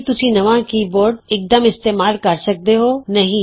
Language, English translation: Punjabi, Can you use the newly keyboard immediately